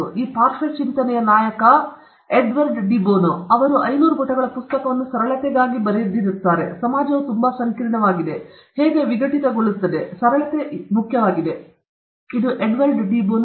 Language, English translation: Kannada, Edward de Bono okay, who is a protagonist of this lateral thinking, he is written a 500 page book on simplicity, how society has become very, very complex, how do decomplexify; it is a book on simplicity, Edward de Bono okay